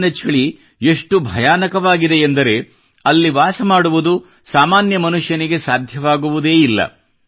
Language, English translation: Kannada, The cold there is so terrible that it is beyond capacity of a common person to live there